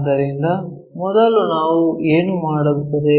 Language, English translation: Kannada, So, first what we will do